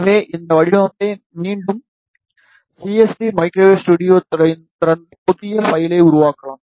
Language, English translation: Tamil, So, let us start with this design again open CST microwave studio, then create a new file